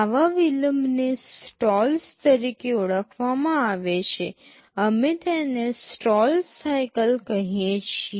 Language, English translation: Gujarati, Such delays are referred to as stalls; we call them stall cycles